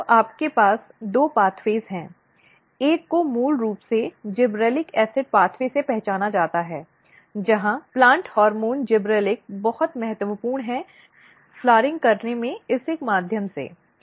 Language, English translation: Hindi, So, you have two pathway one is basically sensed by the gibberellic acid pathway where plant hormone gibberellic is very important in the activating flowering through this one